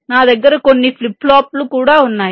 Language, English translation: Telugu, then i can also have some flip flops